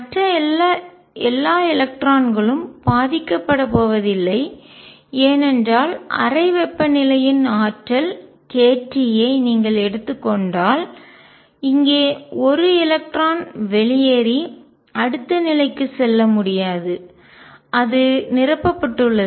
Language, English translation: Tamil, All other electrons are not going to be affected because an electron out here if you take energy k t of the room, temperature cannot go and move to the next level which is occupied